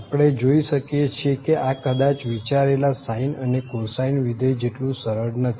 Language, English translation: Gujarati, We can see this is not as simple as we perhaps expected from the sine and the cosine functions